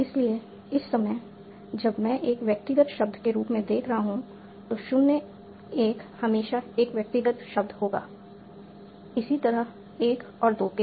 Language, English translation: Hindi, So at this, at this point, when I'm seeing at an individual word, so 0 1 will always be an individual word, similarly for 1 2